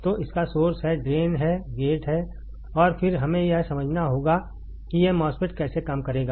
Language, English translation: Hindi, So, it has source it has drain it has gate right and then we have to understand how this MOSFET will operate